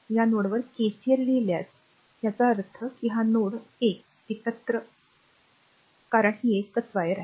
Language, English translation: Marathi, If you write KCL at this node and; that means, this point, this is node 1 together because it is a wire